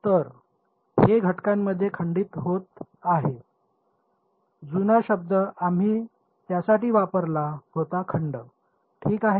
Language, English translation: Marathi, So, this is breaking up into elements, the old word we had used for it was segments ok